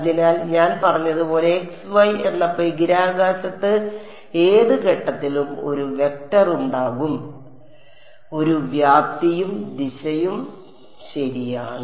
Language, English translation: Malayalam, So, as I said at any point in space x y there will be a vector so, therefore, a magnitude and a direction ok